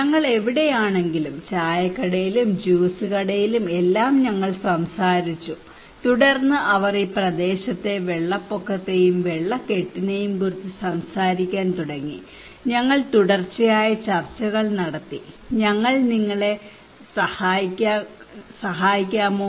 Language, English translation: Malayalam, We have chat over on tea stall and juice shop wherever whatever places we have, then they started talk about the flood and waterlogging problem in this area and we had continuous discussions and we said can we help you